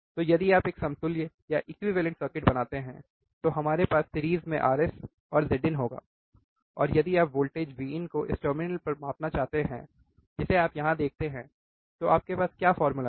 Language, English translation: Hindi, So, if you draw equivalent circuit we will have r s and Z in series, if you want to measure the voltage V in this terminal which you see here, then what formula you have